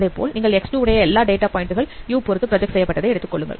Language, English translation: Tamil, So you are taking the projections of all data points in X1 with respect to you